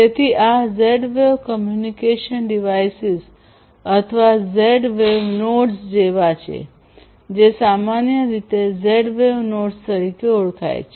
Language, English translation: Gujarati, So, these are like these Z wave communication devices or the Z wave nodes commonly known as Z wave nodes